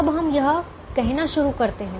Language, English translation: Hindi, now let us start doing this